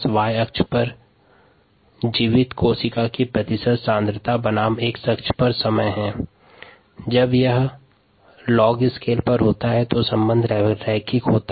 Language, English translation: Hindi, we have on the y axis the percent viable cell concentration on a long scale versus time on the x axis and the relationship is linear